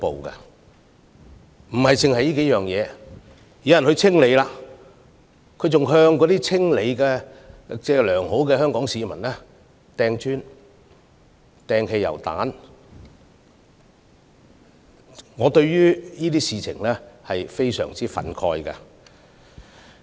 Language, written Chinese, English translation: Cantonese, 不單如此，當有良好的香港市民試圖清理街道時，他們竟然向他們投擲磚塊和汽油彈，我對此非常憤慨。, Not only so they even hurled bricks and petrol bombs at those Hong Kong people with the good intention of clearing the streets . I am honestly agitated by this